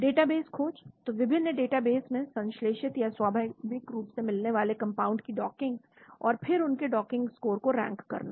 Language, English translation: Hindi, Database search, so docking of synthesized or naturally occurring compounds in various databases and the rank their docking score